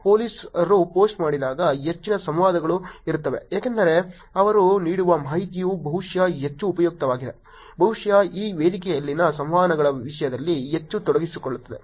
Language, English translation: Kannada, This probably is because when the police does the post there is much more interactions because the information that they are giving is probably more useful, probably more engaging in terms of actually the interactions on this platform